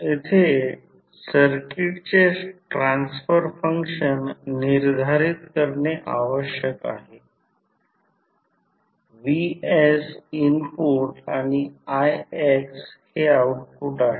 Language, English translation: Marathi, We need to determine the transfer function of the circuit also here vs is the input and ix is the output